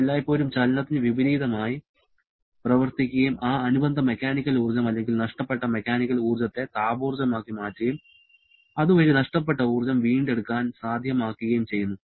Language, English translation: Malayalam, It is always acting opposite to the motion and immediately converting that corresponding mechanical energy or lost mechanical energy to thermal energy thereby making it possible to recover that lost energy